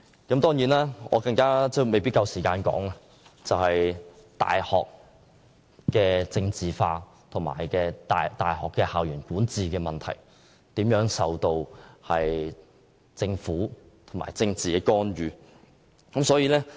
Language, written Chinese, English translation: Cantonese, 另外有一點，我未必有足夠時間詳述，就是大學政治化，以及大學校園管治如何受政府干預的問題。, I may not have enough time to elaborate on this point which is about the politicization of universities and government interference in the governing of universities